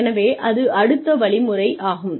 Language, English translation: Tamil, So, that is another way